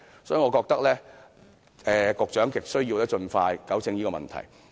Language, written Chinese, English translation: Cantonese, 所以，我覺得局長亟需要盡快糾正這問題。, I think it is imperative for the Secretary to rectify this problem expeditiously